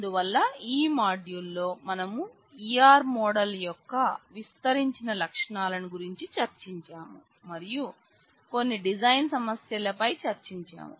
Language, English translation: Telugu, So, in this module we have discussed the extended features of E R model and we have deliberated on certain design issues